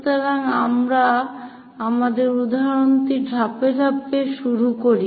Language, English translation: Bengali, So, let us begin our example construct it step by step